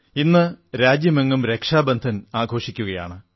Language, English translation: Malayalam, Today, the entire country is celebrating Rakshabandhan